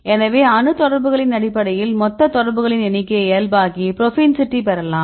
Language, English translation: Tamil, So, based on atom contacts you normalize the total number of contacts this can help, help to get this propensity